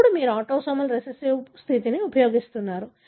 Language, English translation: Telugu, Now, you are using a autosomal recessive condition